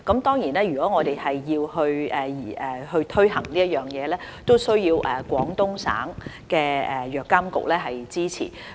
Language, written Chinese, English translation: Cantonese, 當然，如果我們要推行這措施，亦需要得到廣東省藥品監督管理局的支持。, But if we wish to implement this measure we certainly need to secure the support of the Drug Administration of Guangdong Province as well